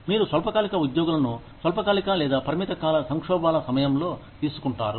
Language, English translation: Telugu, You hire short term employees, during short term or limited term crises